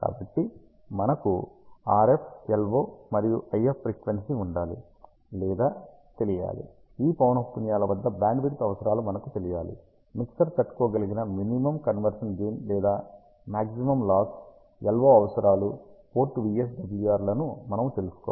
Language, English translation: Telugu, So, we have or we must know RF LO and IF frequency, we must know the Bandwidth requirements at these frequencies, we should know the Minimum Conversion Gain or Maximum Loss that is tolerable by the mixer, the LO power requirement, Port VSWR s, the isolations noise figure and again IP3 or the linearity numbers